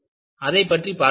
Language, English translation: Tamil, Let us look at what happened